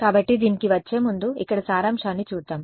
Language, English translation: Telugu, So, before coming to this let us just summarize over here